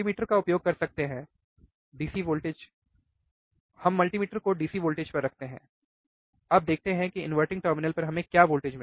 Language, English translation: Hindi, We can use the multimeter and we keep the multimeter at the DC voltage, DC voltage, now let us see what voltage we get at the inverting terminal